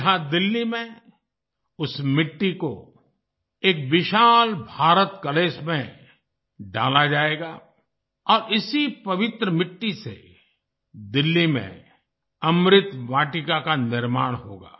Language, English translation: Hindi, Here in Delhi, that soil will be put in an enormous Bharat Kalash and with this sacred soil, 'Amrit Vatika' will be built in Delhi